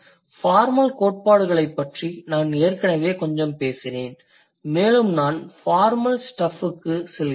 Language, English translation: Tamil, I would surely I have already talked about a bit the formal theories, plus in syntax also I will go into the formal stuff